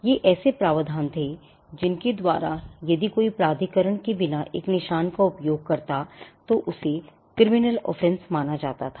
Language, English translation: Hindi, These were the provisions by which if someone used a mark without authorization that was regarded as a criminal offence